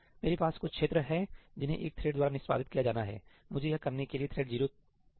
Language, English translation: Hindi, I have some region which is to be executed by the one thread; why do I want thread 0 to do it